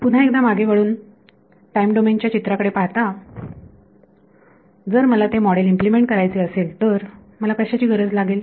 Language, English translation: Marathi, Again looking back at the time domain picture if I wanted to implement that model what do I need